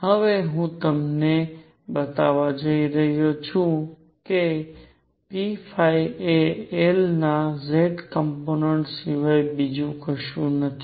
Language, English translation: Gujarati, I am now going to show you that p phi is equal to nothing but the z component of L